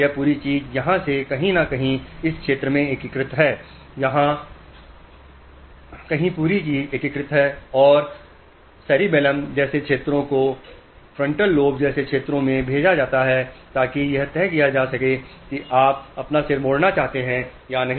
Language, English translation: Hindi, From here somewhere here the whole thing is integrated and signals are sent to areas like cerebellum to frontal lobe to decide on whether you want to turn your head